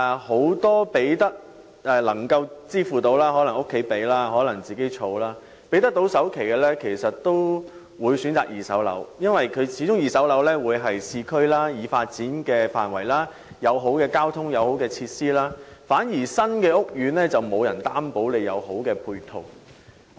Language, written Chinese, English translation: Cantonese, 很多有能力支付首期的人，無論是靠家人幫助或自行儲蓄，都會選擇購買二手樓宇，因為這些樓宇始終座落於已發展的市區範圍，並有良好的交通配套和設施，新屋苑反而未必有良好的配套。, Many people who can afford the down payment either from family support or personal savings would choose to buy second - hand flats as they are located in developed urban areas with good transportation network and facilities which are not available in new housing estates